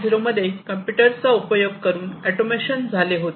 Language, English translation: Marathi, 0, where computers were also used, and automation was done